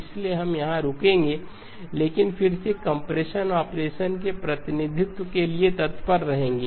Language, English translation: Hindi, So we will stop here but again look ahead to the representation of the compression operation